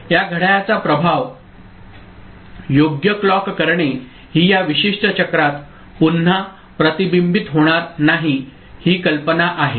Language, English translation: Marathi, This is the idea that effect of this clock clocking right that will be not getting reflected back in this particular cycle itself that is the idea